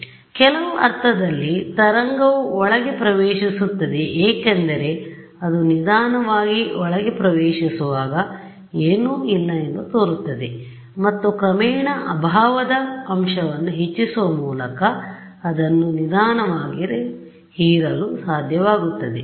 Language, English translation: Kannada, So, the wave in some sense enters inside because there is it seems that there is nothing its slowly enters inside and by gradually increasing a loss factor you are able to gently absorb it ok